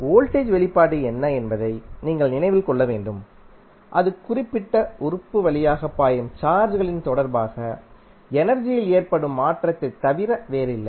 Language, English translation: Tamil, You have to recollect what is the expression for voltage, that is nothing but change in energy with respect to charges flowing through that particular element